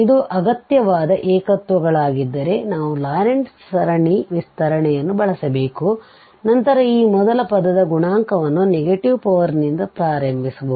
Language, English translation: Kannada, If it is essential singular points we have to use the Laurent series expansion and then we can find the coefficient of this first term where the negative powers starts